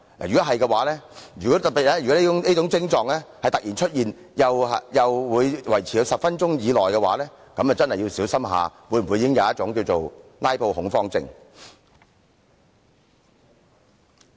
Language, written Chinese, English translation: Cantonese, 如果有以上徵狀，特別是如果突然出現以上徵狀，而又維持了10分鐘的話，便真的要小心是否已患上"拉布"恐慌症。, If he had any of the aforesaid symptoms or in particular if he suddenly developed any of these symptoms which lasted for 10 minutes he really should be alert to the possibility that he might have suffered from panic about filibustering